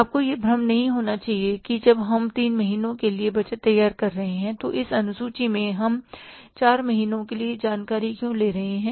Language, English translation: Hindi, You should not get confused that when we are preparing a budget for three months, why in this schedule we are taking the information for the four months